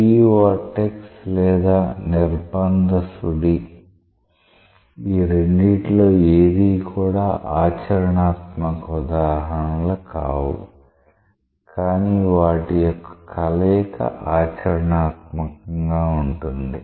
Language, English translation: Telugu, Free vortex or forced vortex, neither of these are like very practical examples, but their combinations are quite practical